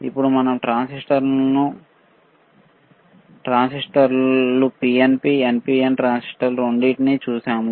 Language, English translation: Telugu, Then we have seen we have seen transistors both the transistors transistor PNP NPN transistors, right